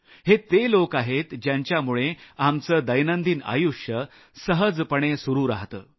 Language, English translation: Marathi, These are people due to whom our daily life runs smoothly